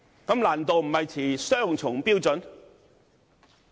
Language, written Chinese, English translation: Cantonese, 這難度不是持雙重標準嗎？, Is it not an example of the adoption of double standards?